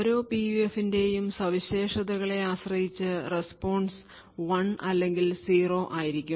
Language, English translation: Malayalam, So, depending on the characteristics of each PUF the response would be either 1 or 0